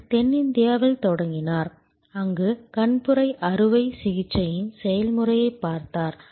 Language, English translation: Tamil, He started in South India, where by looking at the process of cataract operation